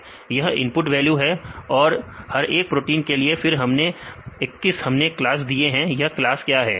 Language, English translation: Hindi, These are the 20 input values given for each protein then 21; we gave the class, what is your class